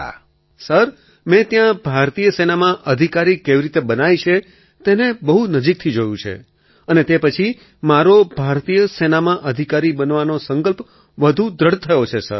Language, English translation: Gujarati, Sir, there I witnessed from close quarters how officers are inducted into the Indian Army … and after that my resolve to become an officer in the Indian Army has become even firmer